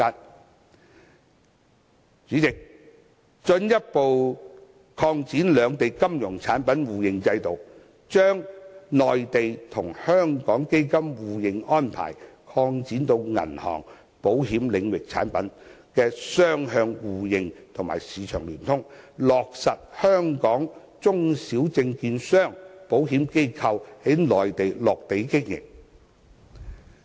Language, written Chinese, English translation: Cantonese, 代理主席，逐步擴展兩地金融產品互認制度，將內地與香港基金互認安排擴展至銀行、保險領域產品的雙向互認和市場聯通，落實香港中小證券商、保險機構在內地落地經營。, Deputy President with the gradual expansion of the system of Mainland - Hong Kong mutual recognition of financial products funds issued by banking and insurance sectors in the two places will be mutually recognized and their corresponding markets will be linked thus facilitating small and medium stock dealers and insurance companies in Hong Kong to set up their offices and businesses in the Mainland